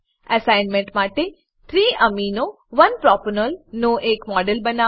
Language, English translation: Gujarati, For the Assignment Create a model of 3 amino 1 propanol